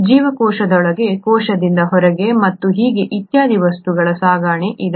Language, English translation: Kannada, There is transport of substances into the cell, out of the cell and so on and so forth